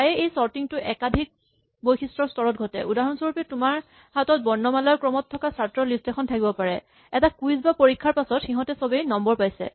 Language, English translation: Assamese, So, very often this sorting happens in stages on multiple attributes, for example, you might have a list of students who are listed in alphabetical order in the roll list after a quiz or a test, they all get marks